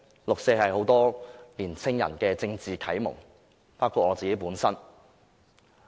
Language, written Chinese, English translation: Cantonese, 六四是很多年青人的政治啟蒙，包括我自己。, The 4 June incident is a political enlightenment to many young people including me